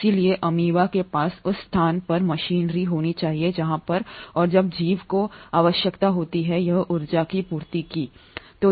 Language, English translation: Hindi, So the amoeba will have to have machinery in place where as and when the organism needs it, the energy is supplied